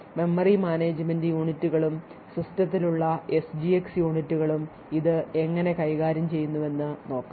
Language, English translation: Malayalam, So, let us see how this is managed by the memory management units and the SGX units present in the system